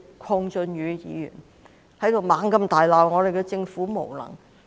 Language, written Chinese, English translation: Cantonese, 鄺俊宇議員大罵政府無能。, Mr KWONG Chun - yu berated the Government for its incompetency